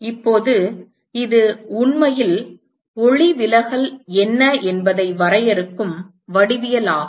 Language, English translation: Tamil, Now, it is the geometry which actually defines what is going to be refraction